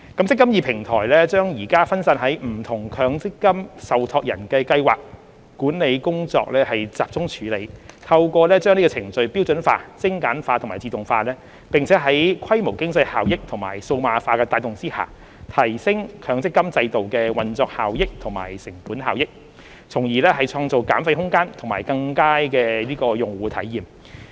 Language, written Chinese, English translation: Cantonese, "積金易"平台將現時分散於不同強制性公積金受託人的計劃管理工作集中處理，透過把程序標準化、精簡化和自動化，並在規模經濟效益和數碼化的帶動下，提升強積金制度的運作效益和成本效益，從而創造減費空間及更佳的用戶體驗。, The eMPF Platform will centralize the scheme administration process scattered in different Mandatory Provident Fund MPF trustees so that with the standardization streamlining and automation of the processes and given the drive of the economies of scale and digitalization the operational efficiency and cost effectiveness of the eMPF Platform will be enhanced thereby creating room for fee reduction and better user experience